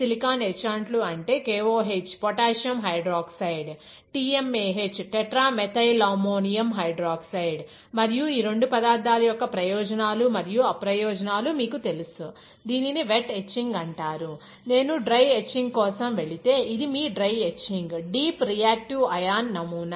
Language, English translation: Telugu, Silicon etchants are KOH potassium hydroxide, TMAH tetramethylammonium hydroxide, right; and you know the advantages and disadvantages of both the materials, also these are wet etching; but if I go for DRI, which is your dry etching is a deep reactive ion etching